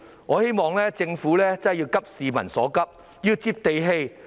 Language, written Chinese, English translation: Cantonese, 我希望政府真的要急市民所急，要"接地氣"。, I hope the Government would really address the pressing needs of the public with a down - to - earth attitude